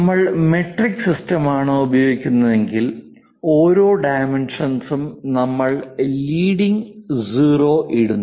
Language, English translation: Malayalam, If we are using metric system ,for anything the dimension we put leading 0, if it is inches we do not put